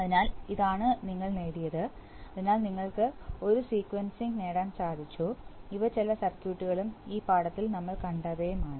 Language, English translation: Malayalam, So this is what we have achieved by, so we have achieved a sequencing, so these are some of the circuits and what we have seen in this lesson